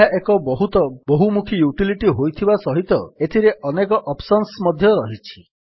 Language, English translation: Odia, This is a very versatile utility and has many options as well